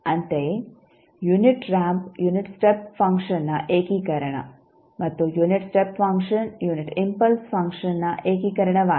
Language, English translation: Kannada, Similarly, unit ramp is integration of unit step function and unit step function is integration of unit impulse function